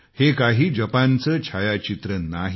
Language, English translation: Marathi, These are not pictures of Japan